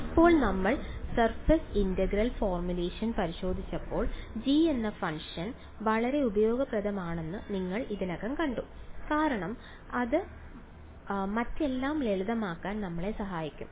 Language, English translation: Malayalam, Now when we looked at the surface integral formulation you already saw that knowing that function g was very useful because it helped us to simplify everything else right